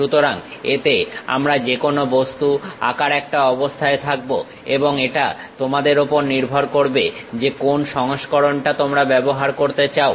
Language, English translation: Bengali, So, on this we will be in a position to draw any object and it is up to you which version you would like to use